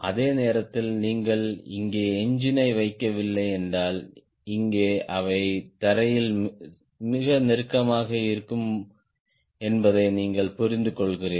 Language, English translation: Tamil, at the same time, you understand, if we are not putting engine here, here there will be too close, too close to ground